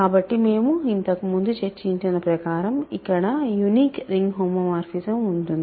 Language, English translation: Telugu, So, that we have discussed earlier there is a unique ring homomorphism